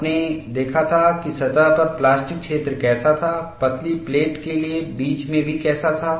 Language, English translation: Hindi, You had seen how the plastic zone was on the surface, how it was there in the middle, even for a thin plate